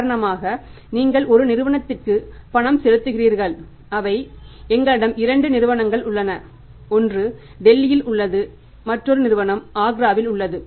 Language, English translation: Tamil, For example you are making the payment to a company say we have a company there are two companies located one is it in Delhi another company is in say you can call it as Agra